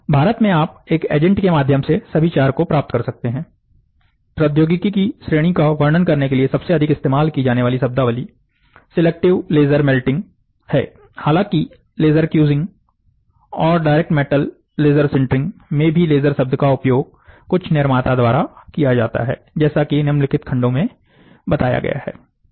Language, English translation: Hindi, In India, you can get all the 4 through a agent right, the most commonly used terminology to describe this category of technology is selective laser melting; however, the term laser in the laser cusing and direct metal laser sintering are also used by certain manufacturer as mentioned in the following sections